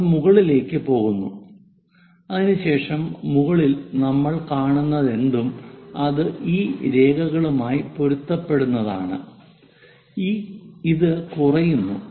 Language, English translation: Malayalam, It goes all the way up it goes up and after that on top whatever that we see that will be coinciding with these lines and this goes down